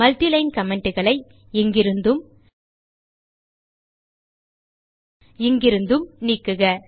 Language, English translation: Tamil, Remove the multi line comments here and here